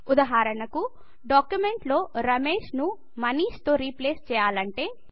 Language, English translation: Telugu, For example we want to replace Ramesh with MANISH in our document